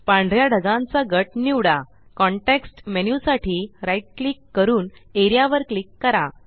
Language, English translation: Marathi, Select the white cloud group and right click for the context menu and click Area